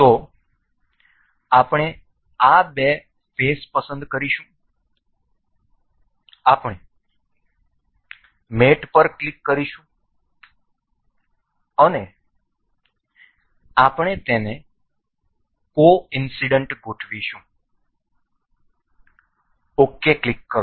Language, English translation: Gujarati, So, we will select these two faces we will click on mate and we will align this as coincident click ok